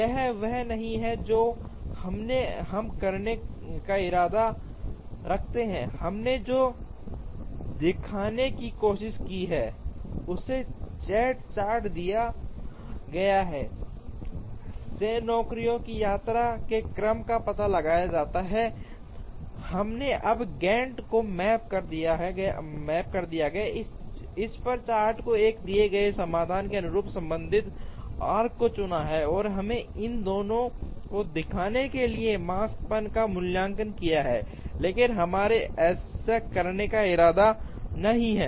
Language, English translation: Hindi, That is not what we intend to do, what we have tried to show is given a Gantt chart, from which the order of visit of the jobs can be ascertained, we have now mapped the Gantt chart on to this and chosen the relevant arcs corresponding to a given solution, and we have evaluated the Makespan to show both of these are the same, but that is not what we intend to do